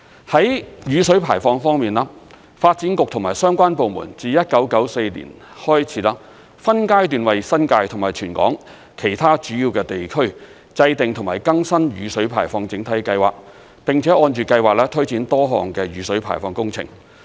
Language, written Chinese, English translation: Cantonese, 在雨水排放方面，發展局和相關部門自1994年起，分階段為新界及全港其他主要地區制訂及更新雨水排放整體計劃，並且按着計劃推展多項的雨水排放工程。, On stormwater drainage the Development Bureau together with relevant departments have been formulating or renewing in stages since 1994 Drainage Master Plans for the New Territories and other major districts in the territory and has conducted a number of stormwater drainage works projects based on the Master Plans